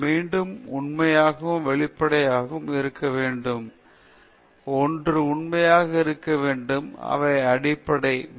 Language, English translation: Tamil, And again, the need to be truthful and transparent; one has to be truthful these are basic, very elementary, ethical values